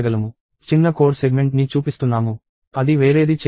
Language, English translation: Telugu, I am showing a small code segment, which does something different